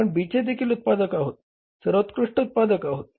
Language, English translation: Marathi, B also we are the manufacturer, best manufacturer